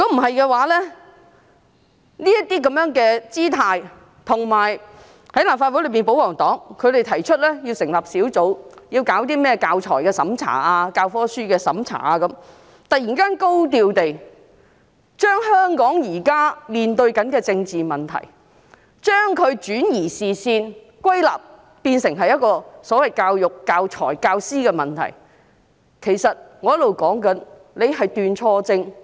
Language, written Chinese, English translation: Cantonese, 擺出這種姿態後，立法會內的保皇黨又提出要成立小組委員會，審查有關教材和教科書的事宜，突然高調地將香港現時面對的政治問題歸納，變成教育、教材和教師的問題，轉移視線。, After she made such a gesture the pro - Government camp in the Legislative Council proposed to set up a subcommittee to examine issues relating to teaching materials and textbooks . They suddenly attributed the political problems currently faced by Hong Kong to problems of education teaching materials and teachers in a high profile thus diverting peoples attention